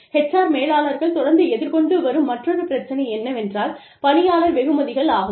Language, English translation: Tamil, The other issue, that HR managers, constantly deal with, is employee rewards